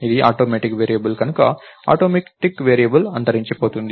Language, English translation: Telugu, Its an automatic variable right, the automatic variable gets destroyed